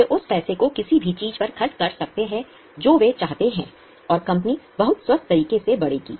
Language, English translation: Hindi, They can spend that money on anything which they want and the company will grow in a very healthy manner